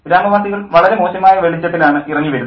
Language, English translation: Malayalam, And the villagers come off in a really bad light